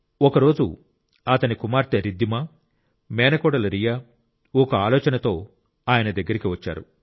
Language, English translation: Telugu, One day his daughter Riddhima and niece Riya came to him with an idea